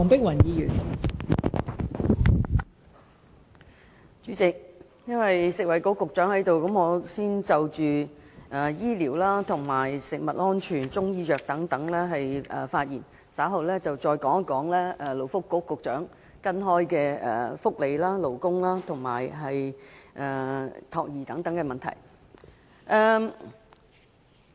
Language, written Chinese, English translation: Cantonese, 代理主席，由於食物及衞生局局長現時在席，故我想先就醫療、食物安全及中醫藥等議題發言，稍後再就勞工及福利局局長負責的福利、勞工和託兒等問題發言。, Deputy President since the Secretary for Food and Health is present now I would like to first speak on health care food safety and Chinese medicine then on welfare labour and child care within the purview of the Secretary for Labour and Welfare